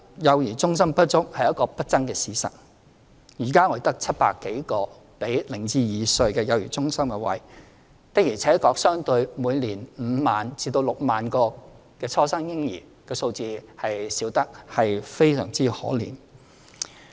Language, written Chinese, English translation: Cantonese, 幼兒中心不足是一個不爭的事實，現在我們只有700多個供零至兩歲幼兒的幼兒中心名額，相對於每年5萬名至6萬名初生嬰兒的數字，確實是少得非常可憐。, It is an undisputable fact that child care centres are inadequate . At present we only have 700 - odd places in child care centres for children from zero to two years old and that figure is woefully small indeed in comparison to 50 000 to 60 000 newborns each year